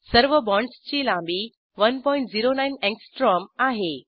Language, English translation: Marathi, All the bond lengths are equal to 1.09 angstrom